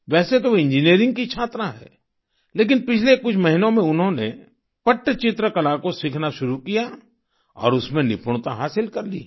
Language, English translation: Hindi, Although she is a student of Engineering, in the past few months, she started learning the art of Pattchitra and has mastered it